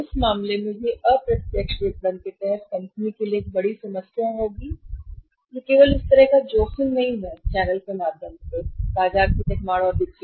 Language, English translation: Hindi, In that case it will be a big problem for the company under indirect marketing there is no such a risk only of to manufacture and sell in the market through the channels